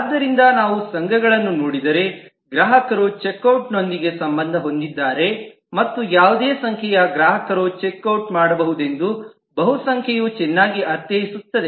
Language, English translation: Kannada, So if we look at the associations, customer is associated with check out and the multiplicity is well understood that any number of customers could do check out